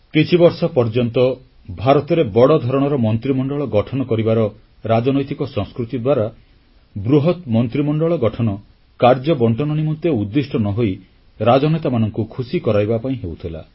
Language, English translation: Odia, For many years in India, the political culture of forming a very large cabinet was being misused to constitute jumbo cabinets not only to create a divide but also to appease political leaders